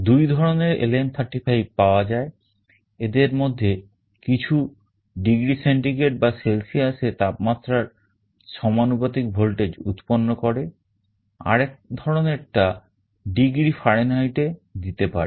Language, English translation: Bengali, There are two versions of LM35 available, some of them can directly generate a voltage proportional to the temperature in degree centigrade or Celsius, there is another version that can also give in degree Fahrenheit